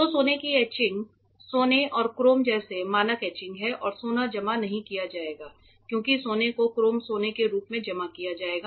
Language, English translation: Hindi, So, gold etchings are there standard etchings like gold and chrome and gold will not be deposited as just gold gold will be deposited as chrome gold